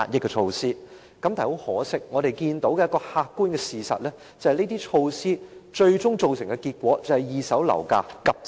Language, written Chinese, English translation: Cantonese, 但是，很可惜，客觀事實是，該等措施最終只是令二手樓價急升。, But regrettably the objective fact is that such measures only managed to jack up prices in the second - hand property market